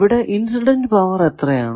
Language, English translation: Malayalam, What is the power incident power